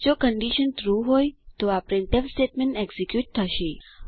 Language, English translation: Gujarati, If the condition is true then this printf statement will be executed